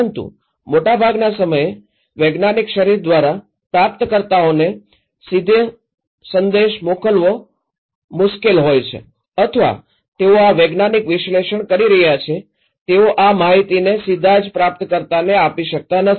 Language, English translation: Gujarati, Sometimes, is possible but most of the time it is difficult to send directly the message from the scientific body to the receivers or that those who are doing these scientific analysis they cannot also pass these informations to the receiver directly